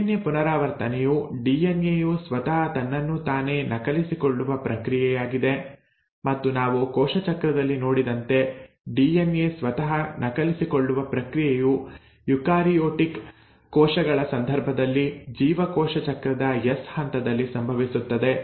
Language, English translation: Kannada, Well, DNA replication is nothing but a process in which a DNA will copy itself and as we had seen in cell cycle this process wherein a DNA copies itself happens in case of eukaryotic cells during the stage of S phase in cell cycle